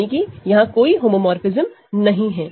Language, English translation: Hindi, So, this is the identity homomorphism